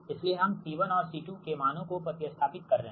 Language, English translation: Hindi, so we are substituting c one and c two value